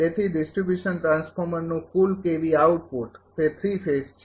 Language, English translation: Gujarati, Therefore, the total KVA output of the distribution transformer is it is 3 phase so, 3 into 22